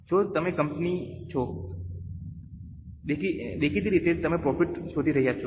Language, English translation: Gujarati, If you are a company obviously you would be looking for the profit